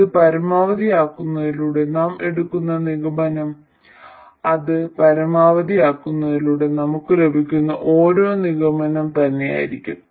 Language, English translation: Malayalam, It turns out that the conclusions we draw from maximizing this will be exactly the same as what we get from maximizing that one